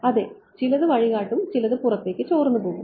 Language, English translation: Malayalam, Yeah some will be some will guide it some will get will leak out ok